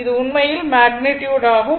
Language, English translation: Tamil, So, this is actually the magnitude